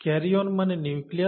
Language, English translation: Bengali, Karyon is the word for nucleus